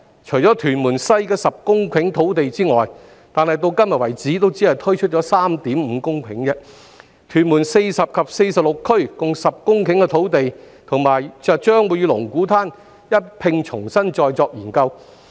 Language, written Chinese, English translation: Cantonese, 除屯門西的10公頃土地外——但至今只推出了 3.5 公頃——屯門40區及46區共10公頃的土地將會與龍鼓灘一併重新再作研究。, Apart from the 10 hectares of land in Tuen Mun West―among which only 3.5 hectares have been provided so far―the land use of Tuen Mun Areas 40 and 46 totalling 10 hectares will be reconsidered under the land use study of Lung Kwu Tan